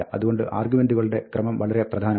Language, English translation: Malayalam, So, the order of the arguments is important